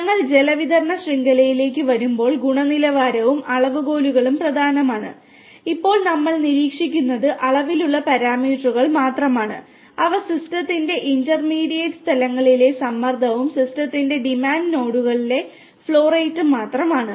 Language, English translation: Malayalam, When we come to a water distribution network, both quality and quantitative parameters are important and right now we are monitoring only the quantitative parameters which are essentially the pressure at intermediate locations of the system and the flow rate at the demand nodes of the system